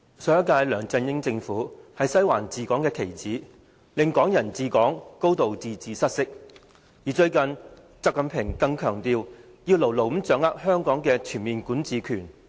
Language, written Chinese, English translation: Cantonese, 上屆梁振英政府是"西環"治港的棋子，令"港人治港"、"高度自治"失色，最近習近平更強調，要牢牢掌握香港的全面管治權。, The previous LEUNG Chun - ying administration was a puppet government of the Western District in ruling Hong Kong undermining the principles of Hong Kong people ruling Hong Kong and a high degree of autonomy . XI Jinping has even asserted recently the need to tightly grasp the comprehensive jurisdiction over Hong Kong